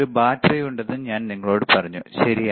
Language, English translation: Malayalam, I told you there is a there is a battery, right